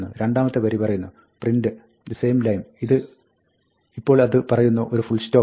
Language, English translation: Malayalam, The second line says, ‘print “same line”’ and then, it says, set end to a full stop and a new line